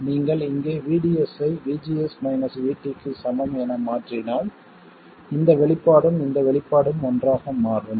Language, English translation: Tamil, If you substitute VDS equals VGS minus VT here, this expression and this expression become the same